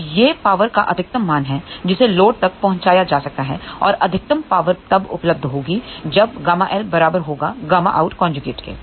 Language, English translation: Hindi, So, this is the maximum value of the power which can be delivered to the load and maximum power will be available when gamma L is equal to gamma out conjugate